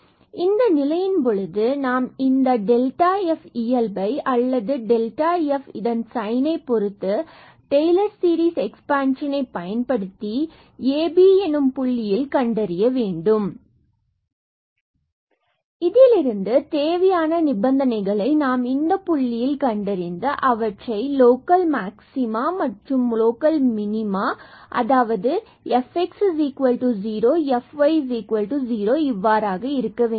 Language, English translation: Tamil, So, in that case we try to get the behavior of this delta f or rather the sign of this delta f by using the Taylor series expansion of this function fa plus h and b plus k around this ab point and from where we got the necessary conditions that to have that this point ab is a point of local maxima or minima, fx at this point ab has to be 0 and fy has to be 0